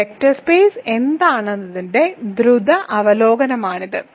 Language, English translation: Malayalam, So, this is a quick review of what a vector space is